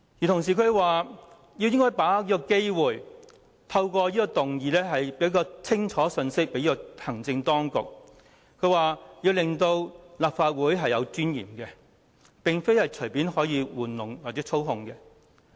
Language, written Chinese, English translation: Cantonese, 他說應該把握機會，透過此項議案，向行政當局發放清楚的信息，顯示立法會有尊嚴，並非可以隨意玩弄或操控。, He asserted that we should seize the opportunity and make use of this motion to send an unequivocal message to the executive that the Legislative Council has dignity and would not be fooled around or manipulated at will